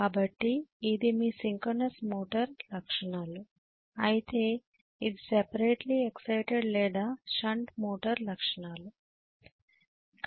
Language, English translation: Telugu, So this is your synchronous motor characteristics whereas this is separately exited or shunt motor characteristics, right